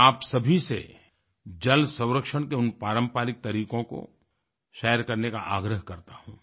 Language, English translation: Hindi, I urge all of you to share these traditional methods of water conservation